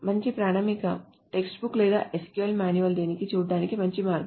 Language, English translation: Telugu, A good standard textbook or the SQL manual will be probably a better way to look at this